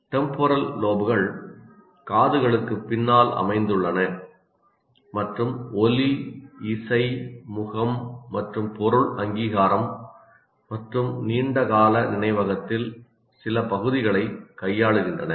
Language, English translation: Tamil, Temporal lobes are located behind the ears and deal with sound, music, face and object recognition and some parts of the long term memory